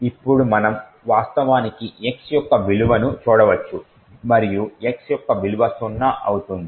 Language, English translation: Telugu, Now we could actually look at the value of x and rightly enough the value of x will be zero